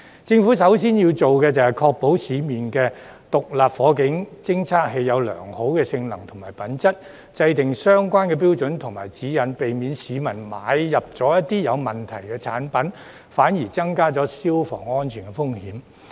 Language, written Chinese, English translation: Cantonese, 政府首先要做的是確保市面上的獨立火警偵測器具備良好的性能和品質，並制訂相關的標準和指引，避免市民購買一些有問題的產品，反而增加消防安全風險。, The Government has to first ensure that SFDs available in the market are in good working order and quality and devise the relevant standards and guidelines to avoid members of the public from purchasing defective ones which will increase fire safety risks instead